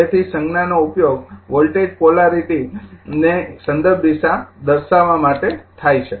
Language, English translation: Gujarati, So, sines are used to represent reference direction of voltage polarity